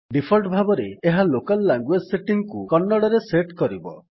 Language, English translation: Odia, By default, this will set your local language setting to Kannada